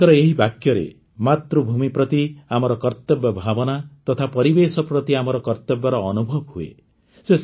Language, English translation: Odia, ' There is also a sense of duty for the motherland in this sentence and there is also a feeling of our duty for the environment